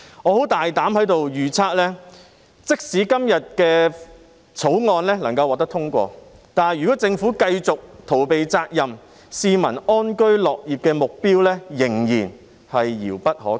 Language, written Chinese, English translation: Cantonese, 我在此大膽預測，即使今天這項《條例草案》獲得通過，但如果政府繼續逃避責任，市民安居樂業的目標仍然是遙不可及。, I now make a bold prediction here that even if this Bill is passed today the target of turning Hong Kong into a decent place for people to live and work will still be too far away to attain if the Government continues to evade its responsibility